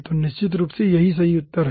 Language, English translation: Hindi, so definitely that is not the correct answer